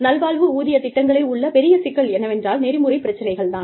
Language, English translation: Tamil, The big problem with wellness pay programs, is the ethical issues